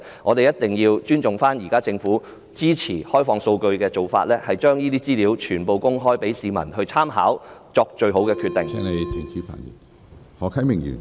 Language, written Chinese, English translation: Cantonese, 我們一定要尊重現時政府支援開放數據的做法，把資料全部公開讓市民參考，以便作最好的決定。, We must respect the current approach of the Government in supporting open data and make all information available to members of the public so that they can make the best decision